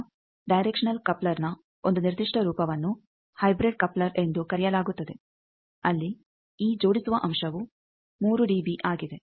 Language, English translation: Kannada, Now, a particular form of directional coupler is called hybrid coupler where this coupling factor is 3 dB